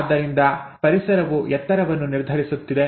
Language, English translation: Kannada, So the environment is determining the height